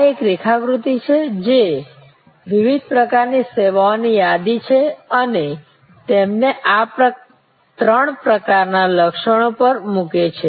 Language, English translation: Gujarati, This is a diagram that list different kinds of services and puts them on these three types of attributes